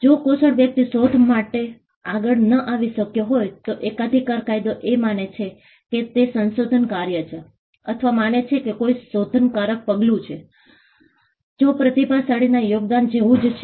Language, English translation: Gujarati, If the skilled person could not have come up with the invention, then patent law regards that as a work of invention or rather the patent law regards that there is an inventive step, which is similar to the contribution of a genius